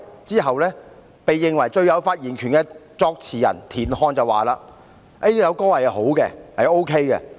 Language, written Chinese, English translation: Cantonese, 之後，被認為最有發言權的作詞人田漢表示："該曲是好的。, Subsequently TIAN Han who was the lyricist and considered to have the final say indicated The music is good